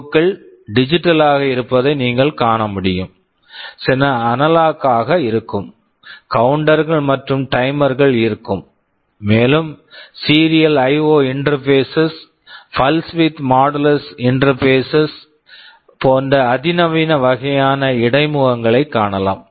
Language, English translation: Tamil, As you can see some of the IO can be digital, some may be analog; there will be counters and timers, and there can be sophisticated kinds of interface also, like serial IO interfaces, pulse width modulated interfaces, interrupt etc